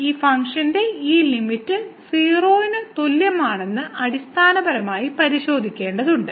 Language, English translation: Malayalam, So, we cannot use that fact that this limit as goes to 0 is 0